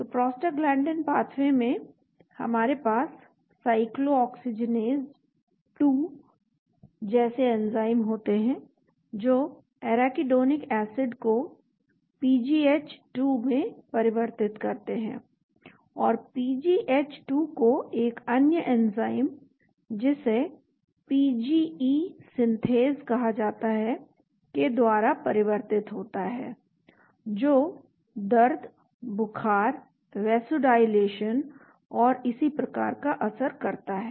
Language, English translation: Hindi, So the Prostaglandin pathway we have enzymes like Cyclooxygenase 2 which converts Arachidonic acid into PGH2 and the PGH2 is converted by another enzyme called PGE Synthase which leads to pain, fever, vasodilation and so on